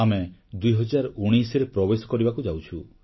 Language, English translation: Odia, We shall soon enter 2019